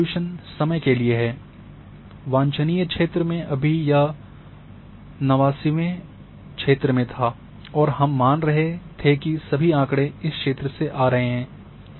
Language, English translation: Hindi, So, this is resolution in time this is the desirable area where at that time it was in 89 it was assume this is the area were all data will come